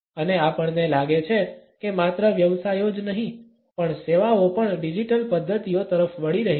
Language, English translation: Gujarati, And we find that not only the professions, but services also are shifting to digital modalities